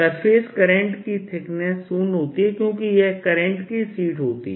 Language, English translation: Hindi, surface current is of thickness zero because this is on a sheet of current